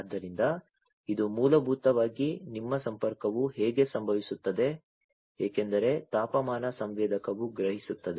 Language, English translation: Kannada, So, this is basically how your connection is going to happen because the temperature sensor will sense